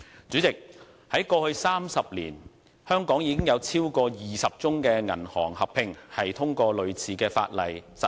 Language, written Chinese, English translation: Cantonese, 主席，在過去30年，香港已有超過20宗銀行合併，通過類似法例實行。, President more than 20 cases of bank merger have been effected via similar bills over the past 30 years